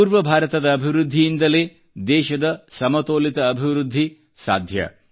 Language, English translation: Kannada, It is only the development of the eastern region that can lead to a balanced economic development of the country